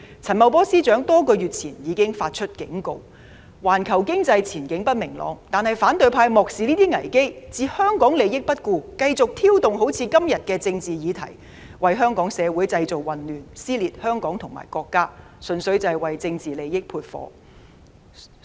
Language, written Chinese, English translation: Cantonese, 陳茂波司長多個月前已警告環球經濟前景不明朗，但反對派漠視這些危機，置香港利益於不顧，繼續挑動今天這種政治議題，為香港社會製造混亂，撕裂香港和國家，純粹為政治利益煽風點火。, Months ago Financial Secretary Paul CHAN already warned against an uncertain global economic outlook . But the opposition camp has disregarded such crises ignored the interests of Hong Kong continued to stir up such political issues today caused chaos to our society and torn Hong Kong and the country apart fanning the flames purely for political gains